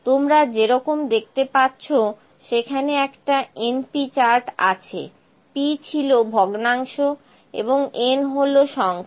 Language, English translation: Bengali, As you can see the np chart is there, p was the fraction and n is the number